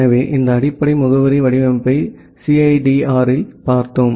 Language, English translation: Tamil, So, we have looked into this basic addressing format in CIDR